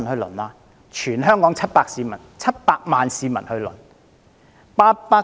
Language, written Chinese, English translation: Cantonese, 供全港700萬市民輪候。, They are for 7 million people in Hong Kong